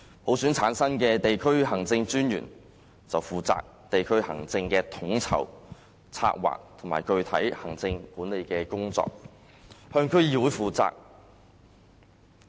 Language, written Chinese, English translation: Cantonese, 普選產生的區政專員則負責地區行政的統籌、策劃及具體行政管理工作，向區議會負責。, Answerable to DCs District Commissioners returned by universal suffrage will be in charge of the coordination planning and specific management tasks of local administration